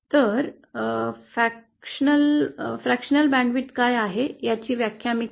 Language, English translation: Marathi, So let me define what is fractional band width